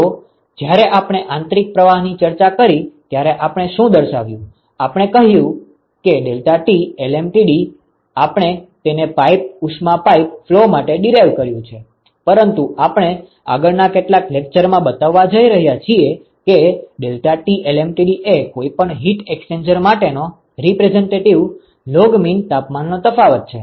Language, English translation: Gujarati, So, what we showed when we discussed internal flows we said deltaT LMTD we derived it for pipe heat you pipe flow, but we are going to show in the next couple of lectures that deltaT LMTD is the representative log mean temperature difference for any heat exchanger